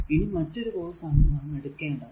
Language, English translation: Malayalam, Now another course another one this time we have taken